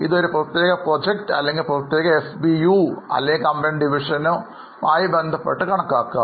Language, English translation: Malayalam, It can also be calculated for a particular project or for a particular SBU or division of the company